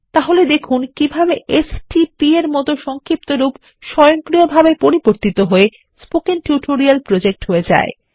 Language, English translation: Bengali, So let us see how an abbreviation like stp gets automatically converted to Spoken Tutorial Project